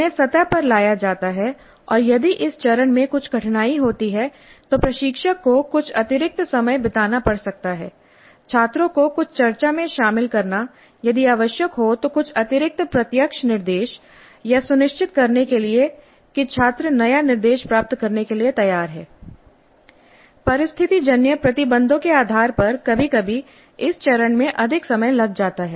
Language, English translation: Hindi, They are brought to the surface and in case there is some difficulty with this phase instructor may have to spend some additional time engaging the students in some discussion if required certain additional direct instruction to ensure that the students are prepared to receive the new instruction